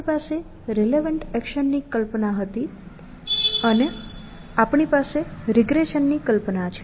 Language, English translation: Gujarati, We had the notion of a relevant action and we had a notion of regression